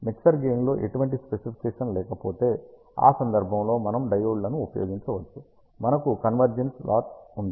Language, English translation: Telugu, If the mixer does not have any specification on the gain part, we can use diodes in that case we will have convergent loss